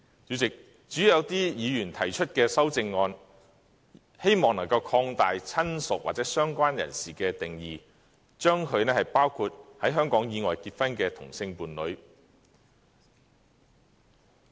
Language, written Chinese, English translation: Cantonese, 主席，有些議員提出的修正案，建議擴大"親屬"或"相關人士"的定義，將之包括在香港以外結婚的同性伴侶。, President some Members have proposed amendments to extend the definition of relative or related person to cover sex - same partners married outside Hong Kong